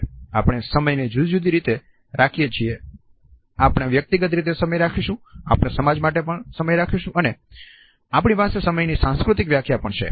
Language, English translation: Gujarati, We keep time in different ways we keep time as an individual, we keep time as a society we also have a cultural definition of time